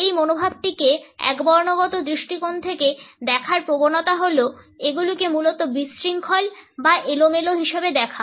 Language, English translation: Bengali, The tendency to view this attitude from a monochronic perspective is to view them as basically chaotic or random